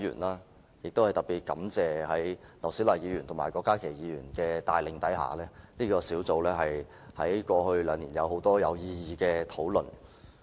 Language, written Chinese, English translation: Cantonese, 在前議員劉小麗及郭家麒議員的帶領下，這個小組委員會在過去兩年有很多有意義的討論。, Under the leadership of former Member Dr LAU Siu - lai and Dr KWOK Ka - ki the Subcommittee had conducted many meaningful discussions in the past two years